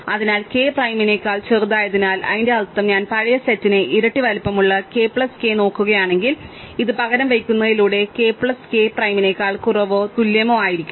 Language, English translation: Malayalam, So, since case smaller than k prime, what it means is that if I look at k plus k which will be double the size of the old set, this will be less than or equal to k plus k prime just by substituting